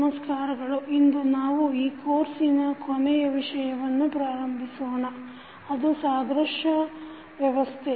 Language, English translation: Kannada, Namaskar, so today we will start our last topic of the course that is analogous system